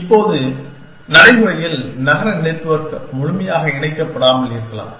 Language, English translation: Tamil, Now, in practice a city network may not be completely connected